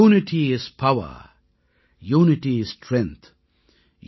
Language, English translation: Tamil, Unity is Power, Unity is strength,